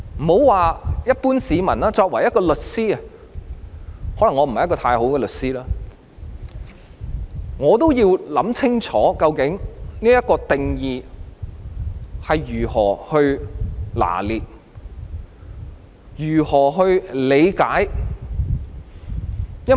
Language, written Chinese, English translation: Cantonese, 別說一般市民，我作為一名律師——可能我不是出色的律師——我也要想清楚究竟應如何拿捏和理解這個定義。, Even a lawyer like me―I may not be an outstanding lawyer―has to think clearly how to grasp and comprehend the definition not to mention the general public